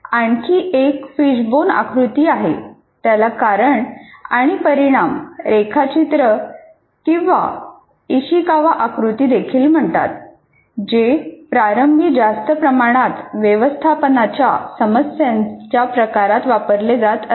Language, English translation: Marathi, It is also called cause and effect diagram or Ishikawa diagram, which was initially greatly used in management type of issues